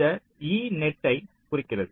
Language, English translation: Tamil, e denotes a net right